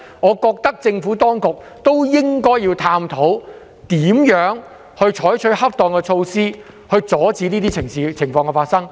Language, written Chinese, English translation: Cantonese, 我認為政府當局應該探討如何採取恰當措施，以防止這些事情再次發生。, I think the Administration should explore appropriate measures to prevent this kind of situation from happening again